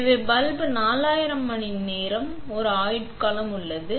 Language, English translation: Tamil, So, the bulb has a lifespan of 4000 hours